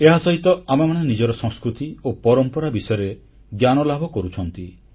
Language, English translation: Odia, At the same time, we also come to know about our culture and traditions